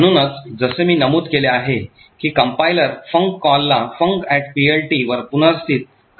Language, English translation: Marathi, So, as I have mentioned the compiler would replace the call to func with the call to func at PLT